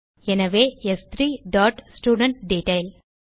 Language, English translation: Tamil, So s3 dot studentDetail